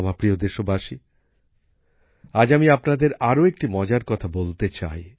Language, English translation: Bengali, My dear countrymen, today I want to tell you one more interesting thing